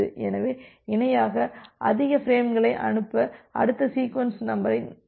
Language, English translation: Tamil, So, you will be able to utilize this next sequence number to send more frames in parallel